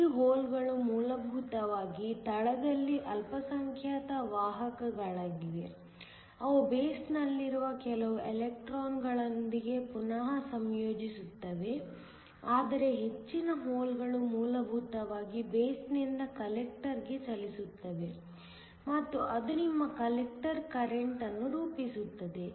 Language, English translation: Kannada, These holes are essentially minority carriers in the base; they will recombine with some of the electrons in the base, but most of the holes will essentially move from the base to the collector and that forms your collector current